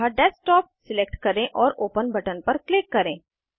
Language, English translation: Hindi, So, select Desktop and click on the Open button